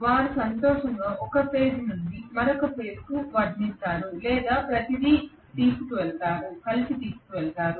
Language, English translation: Telugu, They will happily defect from one phase to another or carry everything together